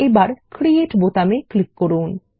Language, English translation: Bengali, And we will click on the Create button